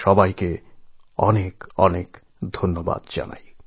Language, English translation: Bengali, Once again, I thank all of you from the core of my heart